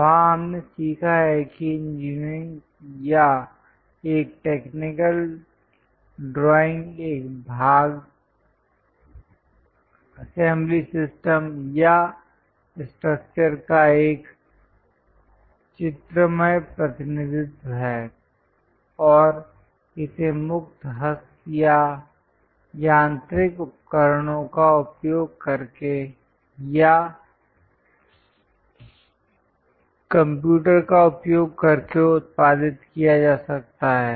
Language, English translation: Hindi, There we have learnt an engineering or a technical drawing is a graphical representation of a part, assembly system or structure and it can be produced using freehand or mechanical tools or using computers